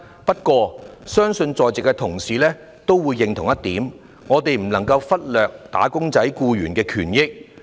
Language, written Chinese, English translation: Cantonese, 不過，我相信在席同事也會認同一點，就是我們不能忽略"打工仔"的權益。, Nonetheless I believe colleagues present at the meeting will agree that the rights and interests of wage earners should not be ignored